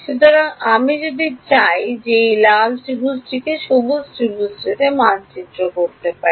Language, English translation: Bengali, So, if I want you to map this red triangle to green triangle what is the first thing you would do